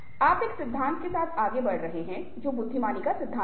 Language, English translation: Hindi, you are coming up, lets say, with the theory of, lets say, theory of intelligences